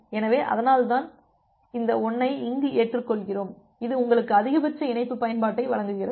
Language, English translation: Tamil, So, that is why we adopt this 1 here which gives you the maximum link utilization